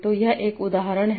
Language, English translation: Hindi, So let's take an example